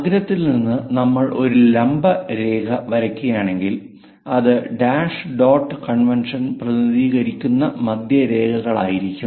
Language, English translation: Malayalam, From apex, if we are dropping a perpendicular, and usually centre lines we represent by dash dot convention